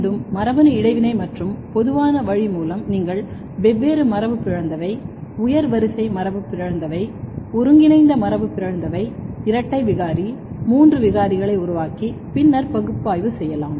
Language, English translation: Tamil, Again through the genetic interaction and the common way of doing it that you make a different mutants, higher order mutants, combinatorial mutants, double mutant, triple mutant and then analyze